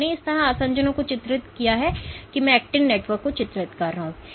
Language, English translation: Hindi, So, I can depict adhesions like this and I can depict the actin network